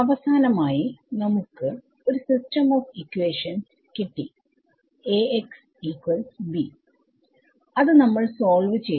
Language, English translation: Malayalam, So, finally, we got a system of equations a x is equal to b and we have solved it right